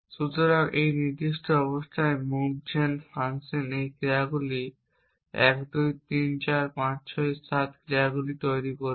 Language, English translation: Bengali, So, the move gen function in this particular state would generate these actions 1 2 3 4 5 6 7 actions